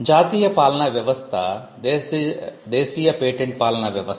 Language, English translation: Telugu, So, this is the national patent regime